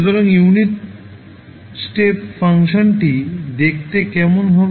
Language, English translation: Bengali, So, how the unit step function will look like